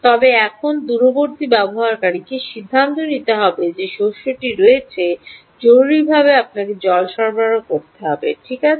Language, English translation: Bengali, now the remote user has to take a decision that the crop has to be urgently you have to supply water right